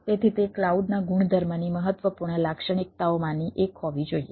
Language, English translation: Gujarati, so that should be one of the important characteristics of property of cloud